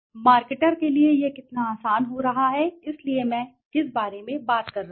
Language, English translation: Hindi, How easy it is becoming for the marketer, so this is what I was talking about